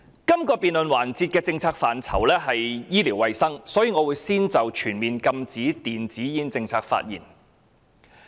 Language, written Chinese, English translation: Cantonese, 這個辯論環節的政策範疇包括醫療衞生服務，所以我會先就全面禁止電子煙的政策發言。, The policy areas of this debate session include health care services so I will speak on the policy of a total ban on e - cigarettes first